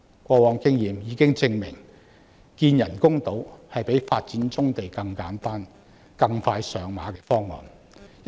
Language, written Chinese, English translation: Cantonese, 過往經驗已經證明，與發展棕地相比，興建人工島更簡單，而且更快能落實。, Past experience already bears testimony to the fact that compared to development of brownfield sites construction of artificial islands is far simpler and quicker to implement